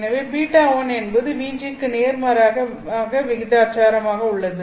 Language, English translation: Tamil, So beta 1 is inversely proportional to VG